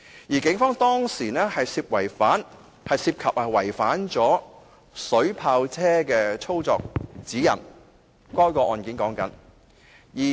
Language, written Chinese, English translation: Cantonese, 在這宗案件中，警方涉及違反水炮車的操作指引。, In this case the Police had violated the guidelines on the use of water cannon vehicles